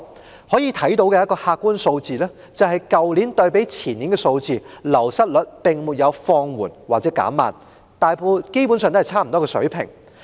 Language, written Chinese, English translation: Cantonese, 從可以看到的客觀數字可見，去年的流失率較前年並沒有放緩或減慢，基本上維持於相若水平。, As shown by the available objective figures the wastage rate last year did not slacken or slow down when compared with the year before last . It basically stood at more or less the same level